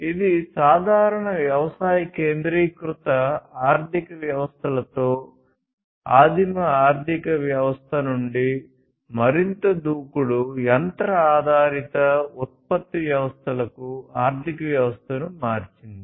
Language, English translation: Telugu, And this basically shifted the economy from the primitive economy with simple agrarian centric economies to more aggressive machine oriented production systems and so on